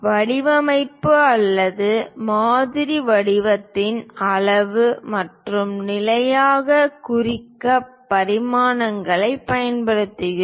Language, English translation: Tamil, We use dimension to represent size and position of the design or model shape